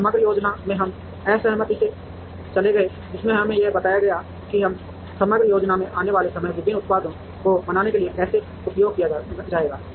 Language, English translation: Hindi, And from aggregate planning we moved to disaggregation, which gave us how the time that comes from an aggregate plan is going to be used to make different products